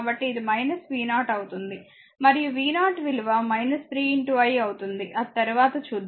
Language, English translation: Telugu, So, it will be minus v 0 and v 0 will be minus 3 into i that will see later, right